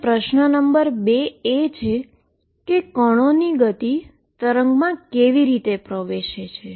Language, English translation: Gujarati, And question number 2 is how is the speed of particle enters the wave picture